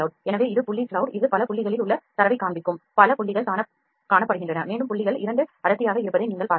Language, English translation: Tamil, So, this is point cloud it is showing the data in the from the point has in the multiple points are being shown up and you can see because the points are 2 dense